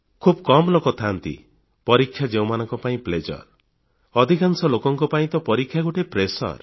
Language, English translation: Odia, But there are very few people for whom there is pleasure in the exam; for most people exam means pressure